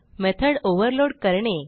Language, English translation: Marathi, And to overload method